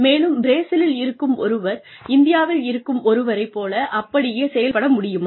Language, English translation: Tamil, And, will a person sitting in Brazil, be able to perform, in the exact same manner in India